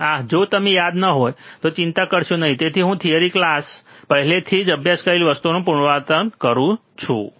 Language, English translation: Gujarati, Ah if you do not remember do not worry that is why I am kind of repeating the things that you have already been studying in the theory class